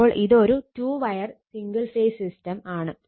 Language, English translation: Malayalam, So, this is two wire single phase system